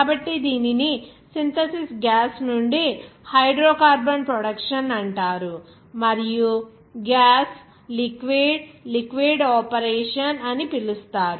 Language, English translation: Telugu, So, that is called hydrocarbon production from the synthesis gas and also gas liquid liquid operation